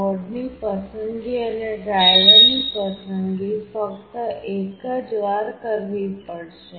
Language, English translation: Gujarati, The board selection and the driver selection have to be done only once